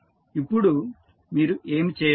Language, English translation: Telugu, Now, what you have to do